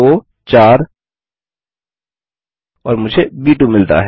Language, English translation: Hindi, I can type in 2,4 and I get b 2